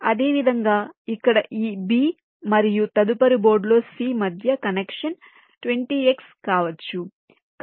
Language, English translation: Telugu, similarly, a connection between this b here and c on the next board, it can be twenty x